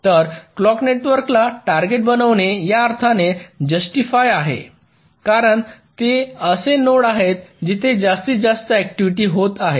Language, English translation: Marathi, so targeting the clock network is very justified in the sense because those are the nodes where maximum activity is happening